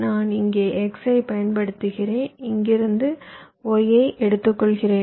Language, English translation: Tamil, i apply x here and i take y from here